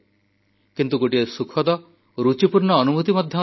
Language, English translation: Odia, But therein lies a pleasant and interesting experience too